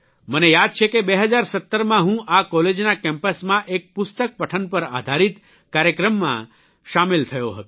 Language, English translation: Gujarati, I remember that in 2017, I attended a programme centred on book reading on the campus of this college